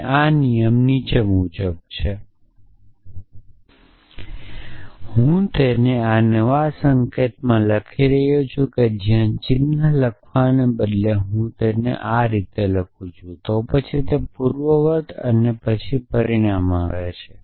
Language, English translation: Gujarati, And the rule is as follows again I am writing it in this new notation where instead of writing the implication sign I will write an if here then the antecedent and then the consequent